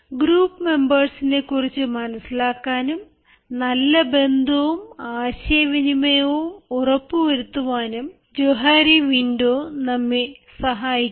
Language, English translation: Malayalam, johari window can help us know the group members and it can also ensure better relationship and communication skills